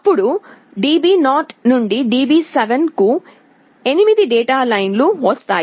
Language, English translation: Telugu, Then come the 8 data lines DB0 to DB7